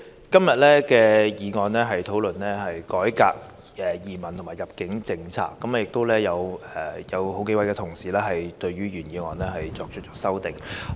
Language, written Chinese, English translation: Cantonese, 今天的議案主題是"改革移民及入境政策"，同時有數位同事對原議案動議修正案。, The subject of the motion moved today is Reforming the immigration and admission policies and there are several fellow colleagues proposing amendments to the original motion